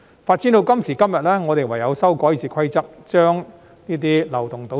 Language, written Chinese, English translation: Cantonese, 發展到今時今日，我們唯有修改《議事規則》，把這些漏洞堵塞。, Today as a result of these developments we have no alternative but to amend RoP in order to plug these loopholes